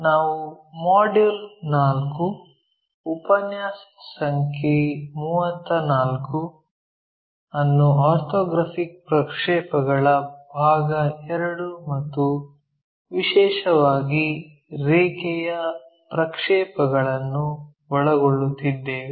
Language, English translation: Kannada, We are covering module 4, lecture number 34, where we are covering Orthographic Projections Part II and especially the line projections